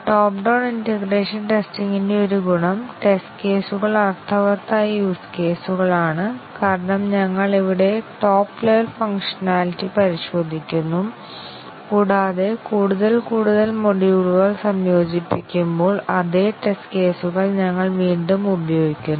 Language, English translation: Malayalam, One advantage of the top down integration testing is that the test cases are actually meaningful use cases, because we are testing the top level functionality here, and also we reuse the same test cases as we integrate more and more module